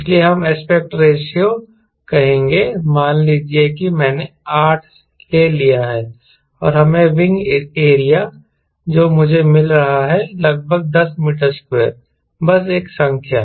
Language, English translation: Hindi, let say i have taken eight and lets say wing area, i am getting around ten meter square